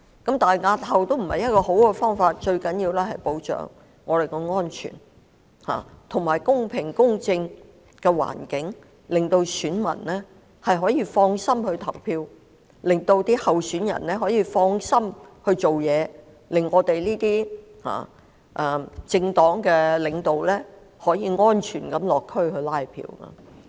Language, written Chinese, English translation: Cantonese, 可是，押後選舉並非理想做法，最重要的是保障我們的安全，以及提供公平和公正的環境，令選民可以安心投票，令候選人可以安心進行選舉工程，令政黨的領導層可以安全地落區"拉票"。, However it is not desirable to simply postpone the election and the most important thing is to protect our safety as well as create a fair and just environment in which voters can set their minds at rest and vote candidates can set their minds at rest and launch their electioneering campaign while leaders of political parties can conduct community visits for canvassing purpose